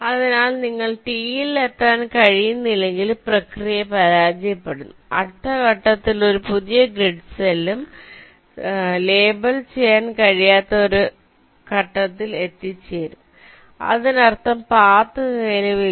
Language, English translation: Malayalam, so the process will fail if you cannot reach t and you reach a stage where you cannot label any new grid cell in the next step, which means the path does not exist